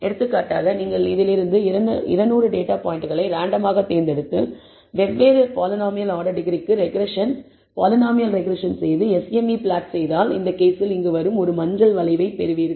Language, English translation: Tamil, For example, if you choose 200 data points out of this randomly and perform regression, polynomial regression, for different polynomial order degree and plot the MSE, you will get let us say one curve in this case let us say the yellow curve you get here